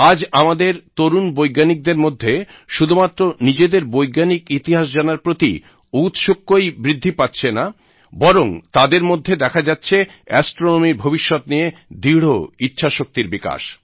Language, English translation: Bengali, Today, our young scientists not only display a great desire to know their scientific history, but also are resolute in fashioning astronomy's future